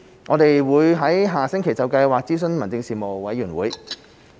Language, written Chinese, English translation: Cantonese, 我們會於下星期就計劃諮詢立法會民政事務委員會。, We will consult the Panel on Home Affairs of the Legislative Council on the project next week